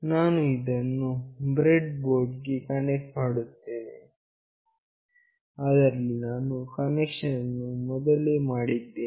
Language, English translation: Kannada, I will be connecting this to the breadboard, where I have already made the connection